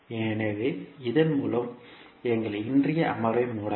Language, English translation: Tamil, So with this we can close our today’s session